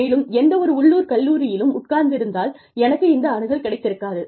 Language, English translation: Tamil, And, sitting in any local college, I would probably not have, had access to this